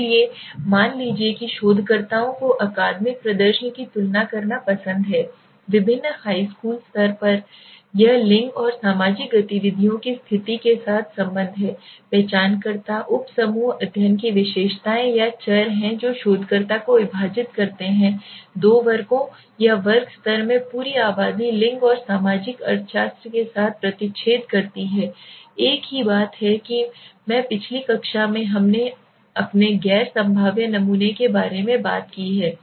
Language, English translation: Hindi, So in the study suppose let say the researchers like to compare the academic performance of different high school class levels it is relationship with gender and social activities status first it identifiers the subgroups are characteristics or variables of the study okay the researcher divide the entire population into two classes or class level intersected with gender and social economics so the same thing that I explain right in the last class once you have done with this has something we have talked about our non probabilistic sampling okay